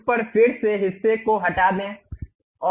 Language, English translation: Hindi, On that, again extrude the portion and fill it